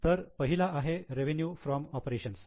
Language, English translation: Marathi, So, first one is revenue from operations